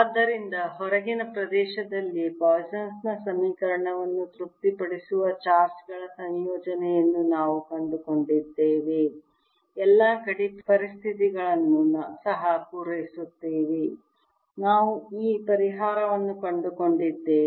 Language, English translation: Kannada, so we have found a combination of charges that satisfies the equation poisson equation in the outer region also satisfies all the boundary conditions